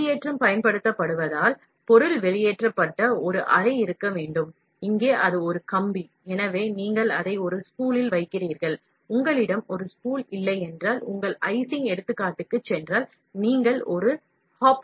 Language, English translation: Tamil, Since extrusion is used, there must be a chamber from which the material is extruded, here it is a wire, so, you put it in a spool, if you do not have a spool, if you go back to your icing example, it is a huge above the nozzle, you should have a hopper, so that is, what is a chamber